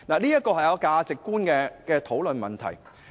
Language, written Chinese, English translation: Cantonese, 這關乎價值觀的討論。, Such discussions involve value judgment